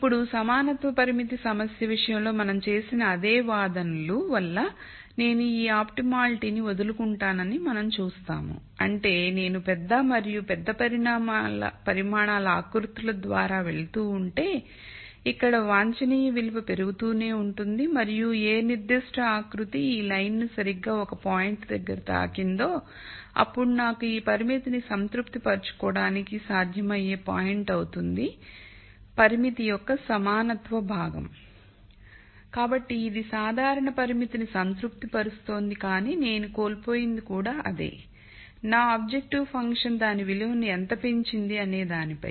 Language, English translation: Telugu, Now, making the same arguments that we made in the case of the equality constraint problem, we will see that I give up on my optimality, that is I keep going through contours of larger and larger size where the optimum value keeps increasing and when a contour particular contour touches this line exactly at one point then I have a feasible point which is going to satisfy this constraint, the equality part of the constraint